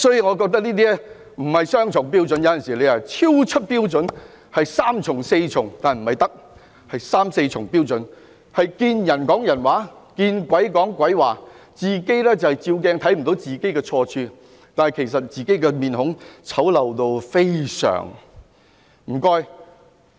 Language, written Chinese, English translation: Cantonese, 我覺得這豈止是雙重標準，是超出標準，是三重、四重——不是三從四德——是三四重標準，"見人說人話，見鬼說鬼話"，站在鏡子前也看不到自己的錯處，其實自己的臉孔非常醜陋。, In my view this is more than double standard beyond our standard and is three or four times more―I am not referring to the three obediences and the four virtues―but triple or quadruple standards . You are a two - faced person . You cannot see your own mistakes when standing in front of a mirror and in fact you have a very ugly face